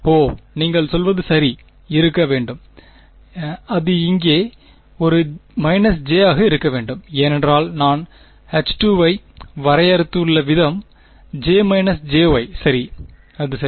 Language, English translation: Tamil, Oh, you are right yeah, there should be; it should be a minus j here right, because of the way that I have defined H 2 is j minus j right, that is right